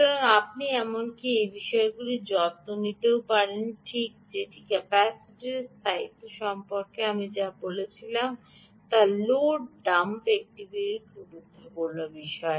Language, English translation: Bengali, fine, this is all what i wanted to say about the stability of the capacitor load dump is an important thing